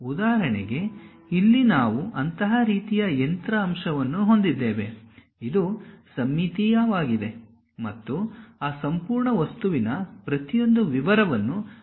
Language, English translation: Kannada, For example, here we have such kind of machine element; it is a symmetric one and we do not want to really represent each and every detail of that entire object